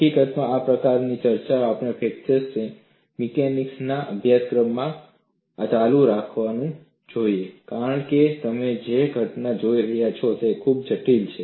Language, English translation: Gujarati, In fact, this kind of a discussion, we continue to do this in a course in fracture mechanics, because the phenomena what you are looking at is very complex